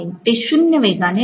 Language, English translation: Marathi, It is at zero speed